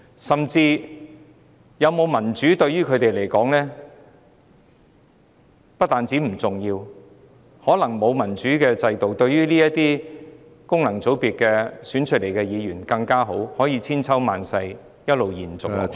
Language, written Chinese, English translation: Cantonese, 香港有否落實民主制度，對他們來說不單不重要，甚至可說是沒有則更好，可讓功能界別選舉制度得以千秋萬世一直延續下去。, The establishment of a democratic system in Hong Kong is a matter of no importance to them and they may even consider it better not having such a system because in this way the system of functional constituency will perpetuate